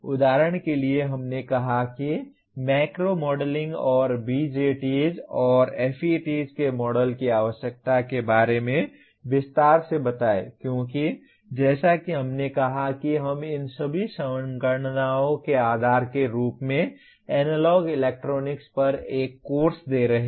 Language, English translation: Hindi, For example we said explain in detail the need for macro modeling and the models of BJTs and FETs because as we said we are giving a course on analog electronics as the basis for all these computations